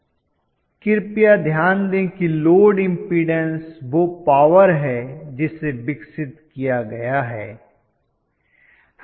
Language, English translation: Hindi, Please note that the load impudence is the power that is been developed